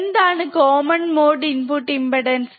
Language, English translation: Malayalam, What is the common mode input impedance